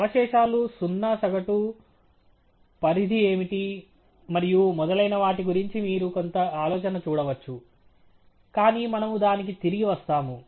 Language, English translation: Telugu, You see some idea of whether the residuals are of zero mean, what is the range and so on, but we will come back to that